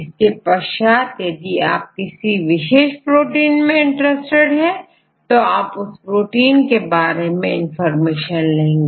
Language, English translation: Hindi, Then if you are interested in any specific protein then you give their particular protein